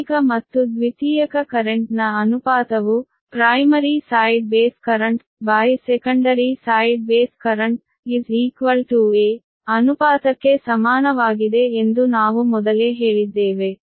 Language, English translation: Kannada, this also earlier we have told that primary ratio of primary to secondary current in is equal to ratio of primary side base current by secondary side base current is equal to a